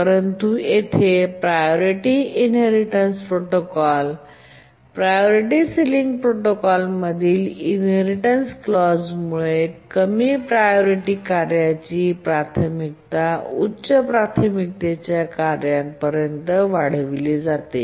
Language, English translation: Marathi, But here, due to the inheritance clause in the priority inheritance protocol, priority sealing protocol, the priority of the low priority task is enhanced to that of the high priority task